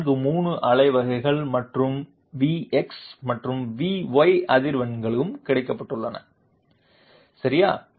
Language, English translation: Tamil, 43 pulses per second and V x and V y frequencies have also been found out, okay